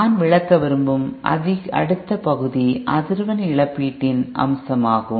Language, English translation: Tamil, The next item I would like to cover is aspect of frequency compensation